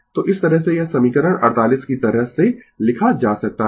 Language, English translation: Hindi, So, this way this equation your equation 48 can be written in this way